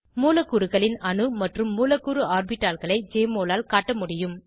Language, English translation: Tamil, Jmol can display atomic and molecular orbitals of molecules